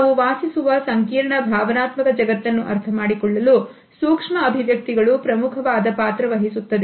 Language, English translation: Kannada, Micro expressions are key to understanding the complex emotional world we live in